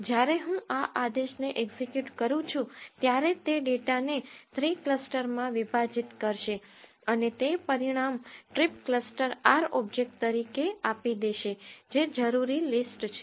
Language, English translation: Gujarati, When I execute this command it will divide the data into three clusters and it will assign the result as a trip cluster R object which is essentially a list